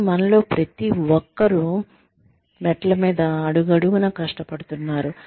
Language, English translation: Telugu, But, every one of us is struggling, with every step on the staircase